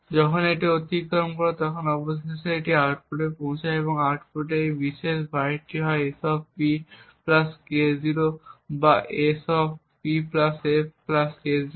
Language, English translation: Bengali, As this passes through and finally reaches the output this particular byte of the output is either S[P] + K0 or, S[P + f] + K0